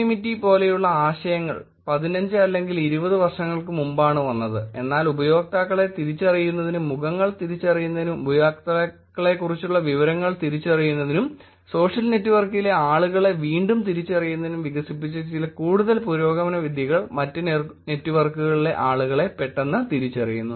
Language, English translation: Malayalam, Meaning, the concepts like k anonymity came in 15 or 20 years before, but certain many further and advance techniques that have been developed to identify users, to identify faces, to identify information about users, to re identify people on social network, people on other networks